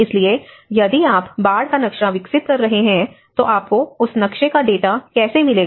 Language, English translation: Hindi, So, if you are developing an inundation maps, how do you get the data of that inundation map